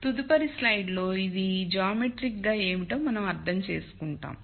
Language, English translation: Telugu, We will understand what this is geometrically in the next slide